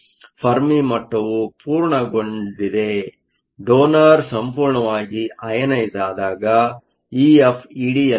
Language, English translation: Kannada, The fermi level is complete; when the donor is completely ionized, E F will be at E D